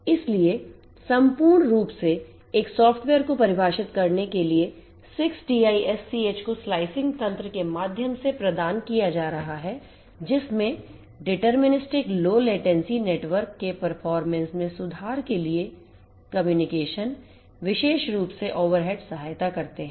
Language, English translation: Hindi, So, basically holistically one is going to have software defined 6TiSCH providing through the slicing mechanism, providing deterministic low latency, communication for improving the performance of the network, particularly from a control overall reduction of control over head and so on